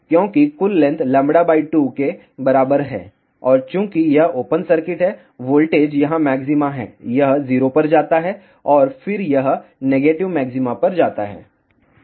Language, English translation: Hindi, Because, the total length is equal to lambda by 2 and since it is open circuit here, voltage is maxima here, it goes to 0 and then it goes to the negative maxima